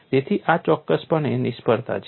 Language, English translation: Gujarati, So, this is definitely a failure